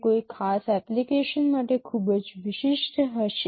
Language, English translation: Gujarati, It will be very specific to a particular application